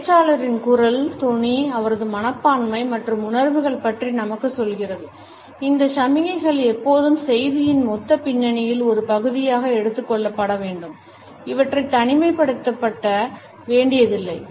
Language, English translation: Tamil, Tone of the voice tells us about the attitudes and feelings of the speaker, these signals however should always be taken as a part of the total context of the message and never in isolation